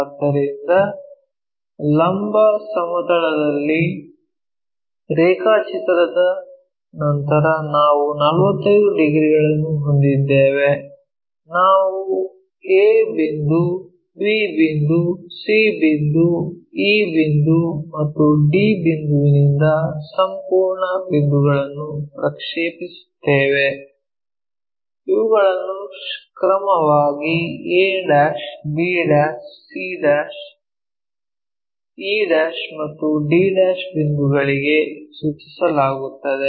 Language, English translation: Kannada, So, on the vertical plane we have that 45 degrees after drawing that we project the complete points from a point map there, b point, c point, e point and d point these are mapped to respectively a' points, c', e' points, d', e' points